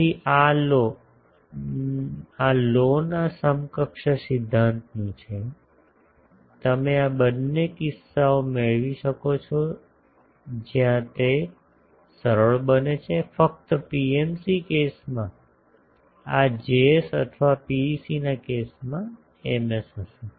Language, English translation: Gujarati, So, this is the from Love’s equivalence principle, you can get these 2 cases where it becomes easier only will have to have either this Js in PMC case or Ms in case of PEC ok